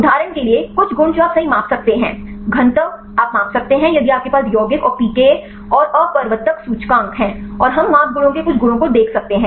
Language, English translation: Hindi, For example, some properties you can measure right, density you can measure if you have the compound and pKa and the refractive index and we can see some properties of measurement properties